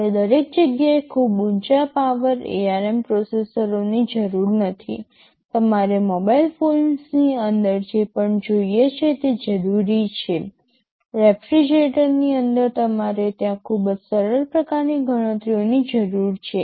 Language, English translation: Gujarati, YSo, you do not need very high power ARM processors everywhere, whatever you need inside a mobile phone you will not need possibly inside a refrigerator, you need very simple kind of calculations there right